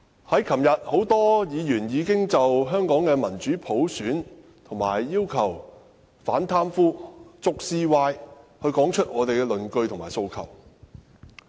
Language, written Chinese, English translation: Cantonese, 昨天多位議員已經就民主普選、要求反貪污、捉 CY 等提出論據和訴求。, Yesterday many Members already put forward their arguments and aspirations for democratic universal suffrage anti - corruption and catching CY